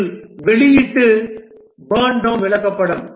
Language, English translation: Tamil, This is the release burn down chart